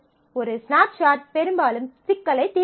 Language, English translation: Tamil, So, a snapshot often does not solve the problem